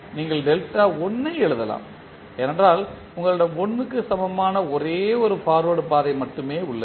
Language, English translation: Tamil, You can write delta 1 because we have only one forward path equal to 1